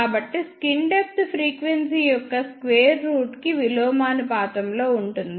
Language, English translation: Telugu, So, skin depth is inversely proportional to square root of frequency